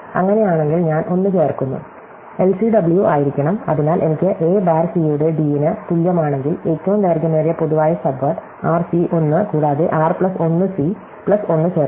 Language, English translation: Malayalam, If so I add 1, should be LCW, so if I have u a bar is equal to d of c, then the longest common word, length of the longest common subword r c 1 plus add r plus 1 c plus 1